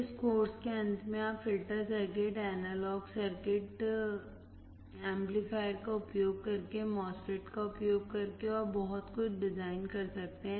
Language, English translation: Hindi, At the end of this course, you are able to design the filter circuits, analog circuits using operational amplifier, using MOSFET and so on